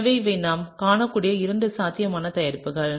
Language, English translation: Tamil, And so, these are two potential products that we can see